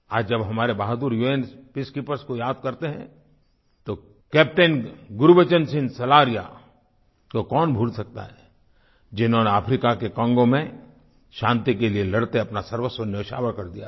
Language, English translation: Hindi, While remembering our brave UN Peacekeepers today, who can forget the sacrifice of Captain Gurbachan Singh Salaria who laid down his life while fighting in Congo in Africa